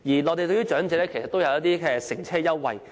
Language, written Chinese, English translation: Cantonese, 內地也為長者提供乘車優惠。, The Mainland likewise offers fare concessions for their elderly people